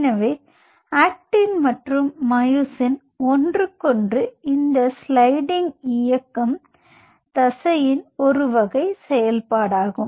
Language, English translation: Tamil, so this sliding motion of actin and myosin over one another is a function of the muscle type